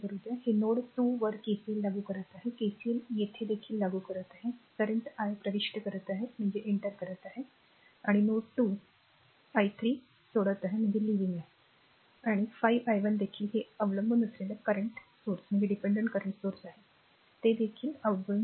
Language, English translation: Marathi, So, so, this is your ah applying KCL at node 2, you applying KCL here also , current i 1 is entering and node 2, i 3 is leaving and 5 i 1 also this is dependent current source it is also leaving, right